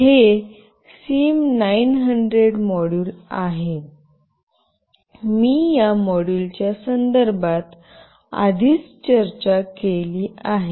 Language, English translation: Marathi, This is SIM900 module, I will have already discussed in detail regarding this module